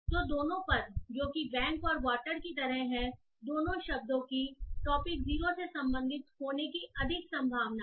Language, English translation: Hindi, So both the terms which are like bank and water, both the terms are more likely to belong to topic zero